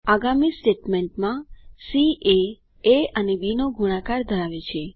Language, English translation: Gujarati, In the next statement, c holds the product of a and b